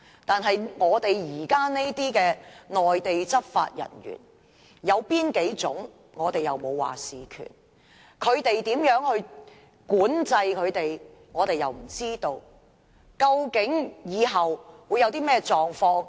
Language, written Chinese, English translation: Cantonese, 但是，現時這些內地執法人員有哪幾種，我們沒有決定權；內地如何管制他們，我們又不知道，究竟日後會出現甚麼情況？, But now we do not even have the decision - making power to decide the types of Mainland law enforcement officers in the MPA; we do not know how the Mainland will regulate them . What will happen in the future?